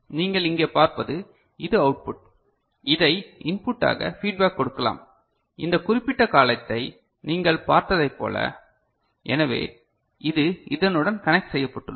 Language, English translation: Tamil, And what you can see over here this is the output which can be fed back as one of the input like what you had seen in this particular column ok, so this is connected to this one